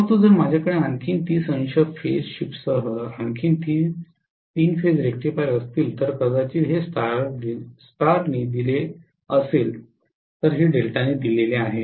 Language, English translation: Marathi, But, if I am having one more three phase rectifier with another 30 degree phase shift so maybe this is fed by star, this is fed by delta